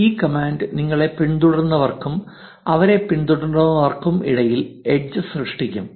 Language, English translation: Malayalam, This command will generate the edges between your followees and their followees